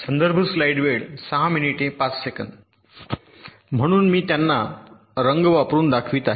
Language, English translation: Marathi, so i am showing them using colours